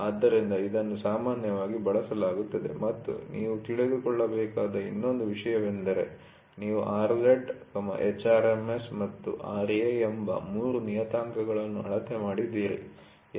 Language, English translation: Kannada, So, this is very commonly used and the other thing you should also know is you have measured three parameters R z, h RMS and Ra